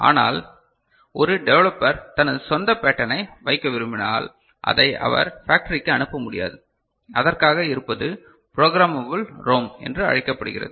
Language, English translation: Tamil, But, if a developer wants to put his own pattern he cannot send it to the factory or so for which we have what is called Programmable ROM ok